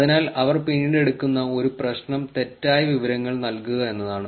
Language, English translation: Malayalam, So, one of the problems that they would take later is misinformation